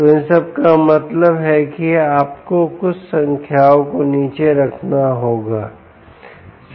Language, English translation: Hindi, so all of this means you have to put down some numbers right